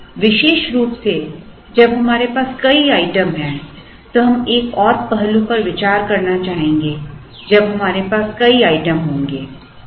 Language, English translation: Hindi, Now, particularly when we have multiple items, we would also like to consider another aspect when we have multiple items